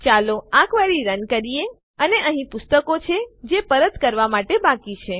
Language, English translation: Gujarati, Let us run the query And here are the books that are due to be returned